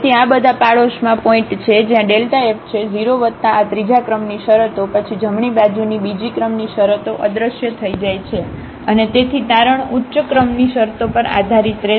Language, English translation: Gujarati, So, all these are the points in the neighborhood where delta f is 0 plus this third order terms, then the second order terms of the right hand side vanish and then therefore, the conclusion will depend on the higher order terms